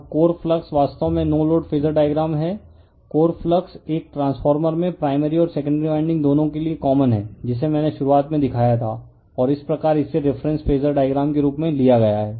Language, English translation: Hindi, Now, the core flux actually no load Phasor diagram, the core flux is common to both primary and secondary windings in a transformer that I showed you in the beginning and is thus taken as the reference Phasor in a phasor diagram